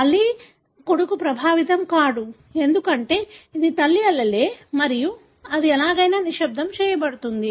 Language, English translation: Telugu, Again the son is not affected, because this is maternal allele and it is silenced anyway